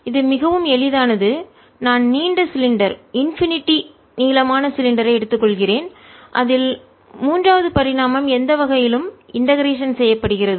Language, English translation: Tamil, suppose i take long cylinder, infinitely long cylinder, in which the third dimension any way gets integrated out